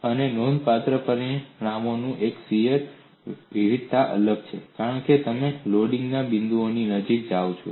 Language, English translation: Gujarati, And one of the significant result, there is shear variation is different, as you go close to the points of loading